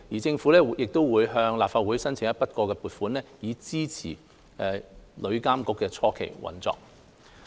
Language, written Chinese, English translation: Cantonese, 政府亦會按照既定程序尋求立法會批准向旅監局撥款，以支持旅監局的初期運作。, The Government will in accordance with the established practice seek approval from the Legislative Council to provide funding for TIA to support its initial operation